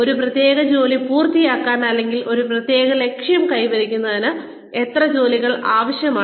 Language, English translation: Malayalam, How many jobs are required to finish a particular task, or achieve a particular objective